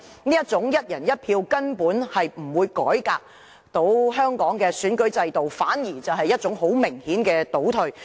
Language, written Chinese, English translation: Cantonese, 這種"一人一票"方案根本不能改革香港的選舉制度，反而很明顯是一種倒退。, This one person one vote proposal simply cannot reform Hong Kongs election system . Rather it is a regression indisputably